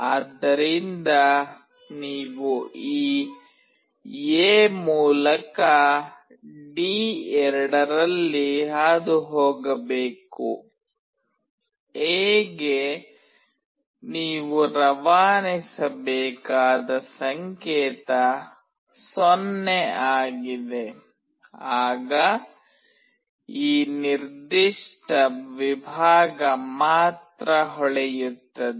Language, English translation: Kannada, So, you have to pass in D2 through this A, A is the signal you have to pass a 0 then only this particular segment will glow